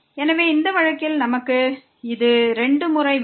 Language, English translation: Tamil, So, in this case we have this 2 times